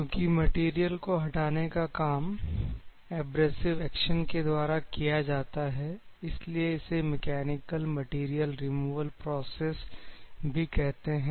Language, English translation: Hindi, But aberration because of which it is used to call as a mechanical material removal process